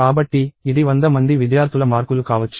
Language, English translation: Telugu, So, it could be marks of 100 students or so